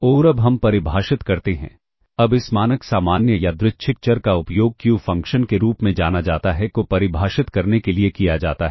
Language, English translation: Hindi, And now, we define, now the standard normal random variable is used to define what is known as the Q function